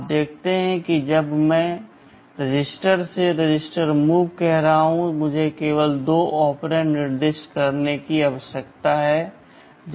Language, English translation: Hindi, You see when I am saying move register to register, I need to specify only two operands